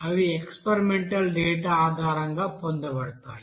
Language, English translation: Telugu, Those are obtained based on the experimental data